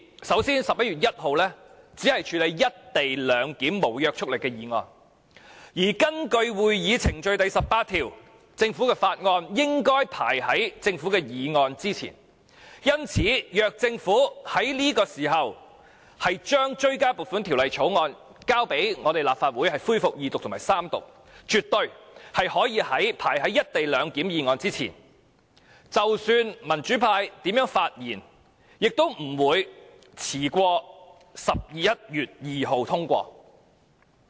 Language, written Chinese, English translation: Cantonese, 首先 ，11 月1日只處理"一地兩檢"無約束力議案，而根據《議事規則》第18條，政府法案應該排在政府議案之前。因此，如果政府在這時候將追加撥款條例草案提交給立法會恢復二讀及三讀，絕對可以排在"一地兩檢"議案之前。即使民主派如何發言，也不會遲於11月2日通過。, Under Rule 18 of the Rules of Procedure RoP government Bills should precede government motions and so had the Government tabled the Bill before the Legislative Council for Second and Third Readings at that time the Bill absolutely could have precedence over the motion on co - location arrangement and no matter how the pro - democracy camp would speak on the Bill the Bill would be passed no later than 2 November